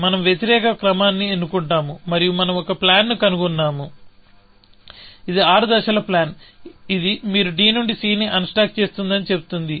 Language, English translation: Telugu, We choose an opposite order, and we ended up finding a plan, which is the six step plan, which says that you unstack c from d